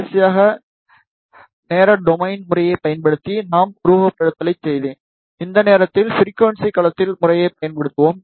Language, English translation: Tamil, Last time, I did the simulation using time domain method, this time we will use frequency domain method